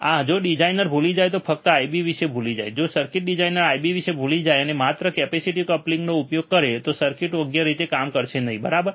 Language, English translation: Gujarati, Ah so, if the designer forgets simply forgets about I B, if the circuit designer he forgets about the I B, and uses just a capacitive coupling the circuit would not work properly, right